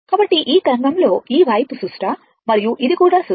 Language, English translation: Telugu, So, this wave this this side is symmetrical and this is also symmetrical